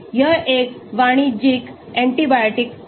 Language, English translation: Hindi, this is a commercial antibiotic